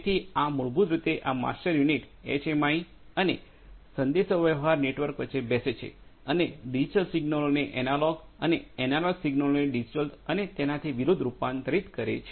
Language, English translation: Gujarati, So, this basically these master units sits in between the HMI and the communication network and converts the digital signals to analog and analog to digital and vice versa